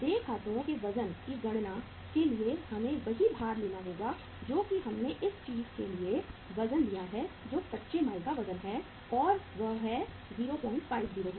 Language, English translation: Hindi, For calculating the weight of accounts payable we will have to take the same weight that is the say we have taken the weight for this thing that is the raw material weight and that is 0